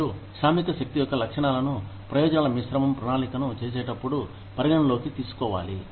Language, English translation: Telugu, And, the characteristics of the workforce, have to be taken into account, while planning the benefits mix